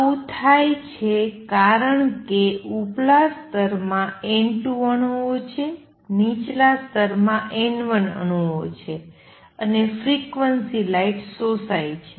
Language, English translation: Gujarati, That happens because there are atoms in the upper state N 2, there are atoms in the lower state N 1, and the frequency light gets absorbed